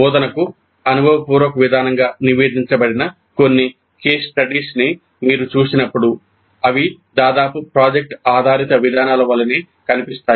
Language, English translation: Telugu, When you see some of the case studies reported as experiential approach to instruction, they almost look like product based approaches